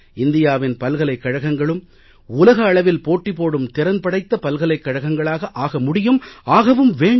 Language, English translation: Tamil, Indian universities can also compete with world class universities, and they should